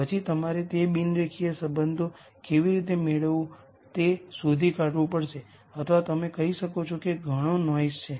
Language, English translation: Gujarati, Then you have to figure out how to get those non linear relationships or you could say there is a lot of noise